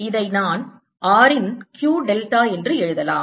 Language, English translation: Tamil, then i can write this as q delta of r